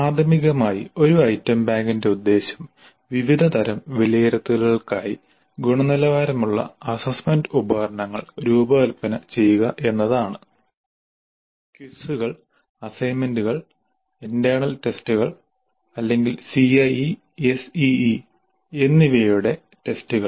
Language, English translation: Malayalam, So, primarily the purpose of an item bank is to design quality assessment instruments for a variety of assessments, quizzes, assignments, internal tests or tests of CIE and SEA